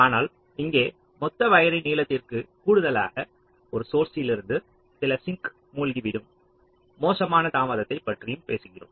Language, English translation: Tamil, but here, in addition to the total wire length, we are also talking about the worst case delay from a source down to some of the sinks